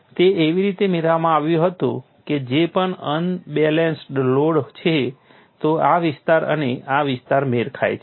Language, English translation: Gujarati, It was obtain such that whatever is the unbalance load, this area and this area matches